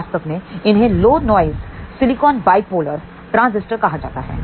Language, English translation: Hindi, This is actually known as Low Noise Silicon Bipolar Transistor